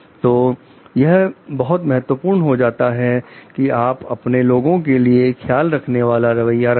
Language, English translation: Hindi, So, it is very important you do have a caring attitude for your people